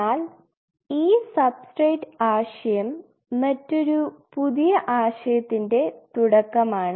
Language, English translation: Malayalam, But from this substrate concept starts the concept of a newer concept